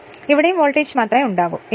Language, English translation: Malayalam, So, only voltage will be induced here and here